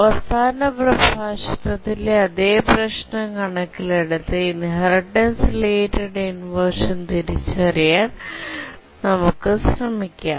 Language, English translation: Malayalam, This is the same problem that we are considering in the last lecture and now we are trying to identify the inheritance related inversion